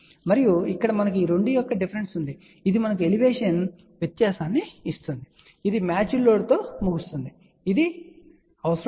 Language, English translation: Telugu, And here we have the difference of these 2 difference of these 2 this gives us Elevation difference and this is terminated and matched load it is not required